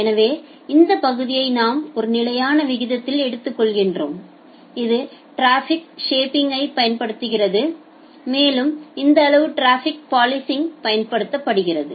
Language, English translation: Tamil, So, this part where we are taking it out at a constant rate it is applying traffic shaping and this size it is applying traffic policing